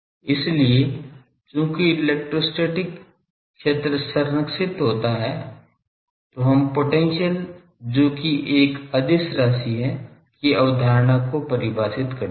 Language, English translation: Hindi, So, there we since electrostatic fields where conservative we define the concept of potential which is a scalar quantity